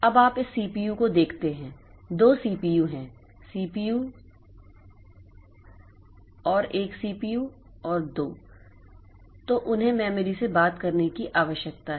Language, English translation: Hindi, Now you see this this CPU there are two CPUs, CPU 1 and CPU 2, so they need to talk to the memory